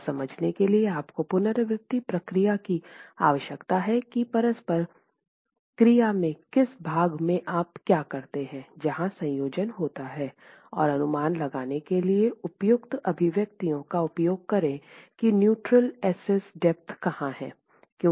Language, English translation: Hindi, You need an iterative procedure to understand in which part of the interaction curve do you thus the combination fall in and use appropriate expressions to estimate where the neutral axis depth is lying because that is something you do not know at all